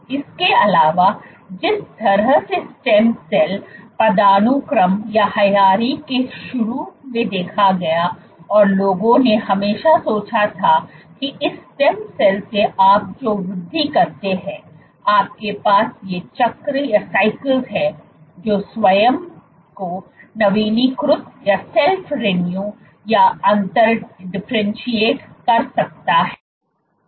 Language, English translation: Hindi, In addition, the way the stem cell hierarchy was initially imaged in people would always think that from this stem cell you give rise you have these cycles, this guy can self renew or differentiate